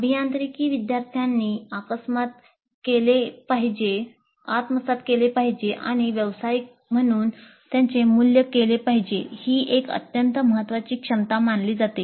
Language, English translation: Marathi, And this is considered as an extremely important competence that engineering students must acquire and demonstrate if they are to be valued as professionals